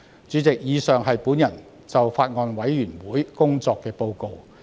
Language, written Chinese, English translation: Cantonese, 主席，以上是我就法案委員會工作作出的報告。, President the above is my report on the work of the Bills Committee